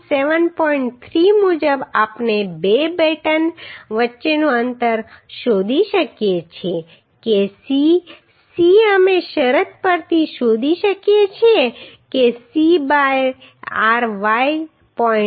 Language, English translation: Gujarati, 3 we can find out the spacing between two batten that C C we could find out from the condition that C by ryy should be less than 0